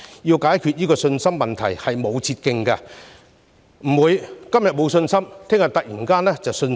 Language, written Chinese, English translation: Cantonese, 要解決信心問題並無捷徑，不會今天沒有信心，明天突然重拾信心。, There is no shortcut to solving the problem of confidence as confidence cannot be regained overnight